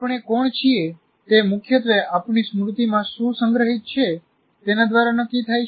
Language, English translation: Gujarati, Who we are is essentially decided by what is stored in our memory